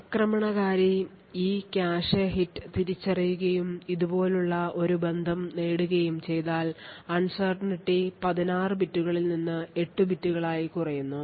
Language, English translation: Malayalam, Now after running the attacker if the attacker identifies this cache hit and obtains a relation like this uncertainty reduces from 16 bits to 8 bits